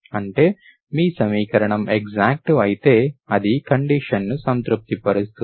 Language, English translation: Telugu, That means if you are equation is exact implies it is exact, it is, this condition is satisfied